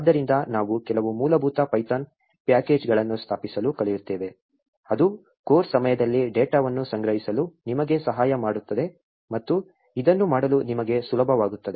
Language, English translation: Kannada, So, we will also be learning to install some basic python packages that will help you during the course to collect the data and make it easy for you to do this